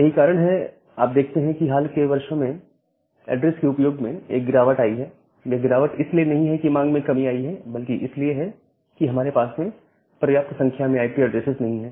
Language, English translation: Hindi, So, that is why you will see that, there is a drop in address usage in the recent years and this drop is not because the demand has become less but rather we do not have sufficient number of IP addresses in our hand